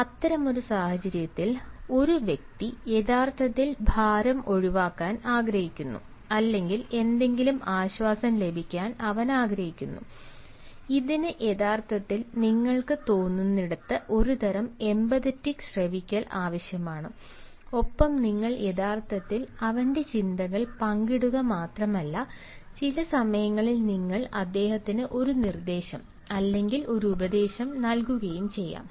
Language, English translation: Malayalam, so in such a situation, a person actually wants to unburden or he wants something to be relieved off, and this actually requires a sort of empathic listening, where you feel, where you actually not only you share his thoughts but at times you may also give him a suggestion, a piece of advice, and that not only softens him but at the same time, that is, smoothes him to an extent that he feels motivated